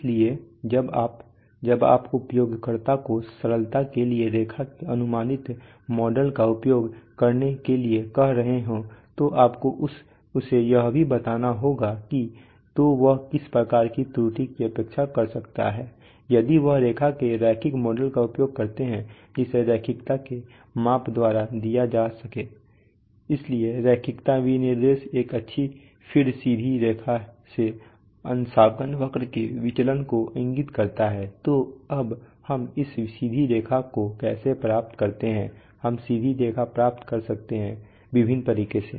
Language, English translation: Hindi, So when you, when you are telling the user to use the approximate model of the line for simplicity, you also have to tell him what is the kind of error that he or she can expect if she uses that, uses the linear model of the instrument, so that is given by the measure of linearity so the linearity specification indicates the deviation of the calibration curve from a good feed straight line, so now, how do we how do you obtain this straight line, we can obtain the straight line in various ways